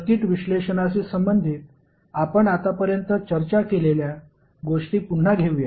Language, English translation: Marathi, Let us recap what we discussed till now related to circuit analysis